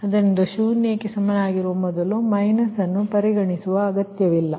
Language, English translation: Kannada, so no need to consider minus before that is equal to zero, right